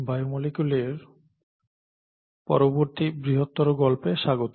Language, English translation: Bengali, Welcome to the next story in the larger story of biomolecules